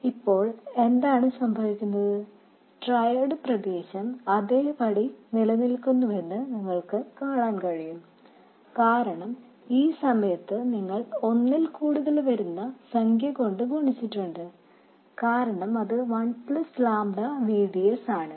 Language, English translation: Malayalam, Now what happens is you can see that the triode region remains as it is and because at this point you multiply it by some number more than 1 because it is 1 plus lambda VDS